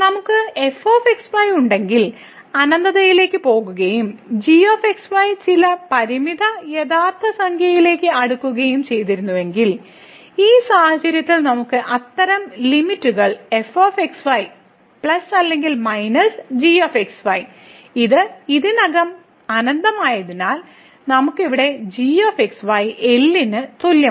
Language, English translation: Malayalam, If we have as is going to infinity and is approaching to some finite real number, in this case we can evaluate such limits plus or minus , since this is infinity already and then we have here is equal to